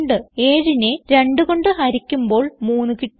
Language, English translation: Malayalam, When 7 is divided by 2, we get 3